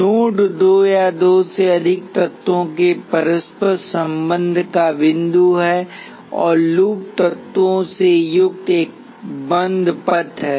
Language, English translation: Hindi, Node is point of interconnection of two or more elements and loop is a closed path consisting of elements